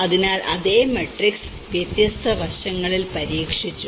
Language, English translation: Malayalam, So, like that the same matrix has been tested in different aspects